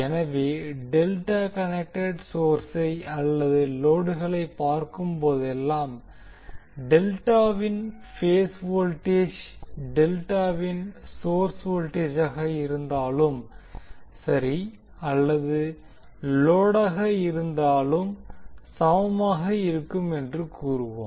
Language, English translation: Tamil, So whenever we see the delta connected source or load, we will say that the phase voltage of the delta will be equal to line voltage of the delta whether it is source or load